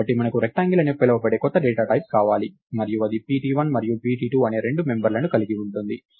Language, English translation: Telugu, So, it says that we want a new data type called rectangle and this in turn consist of two members, namely pt1 and pt2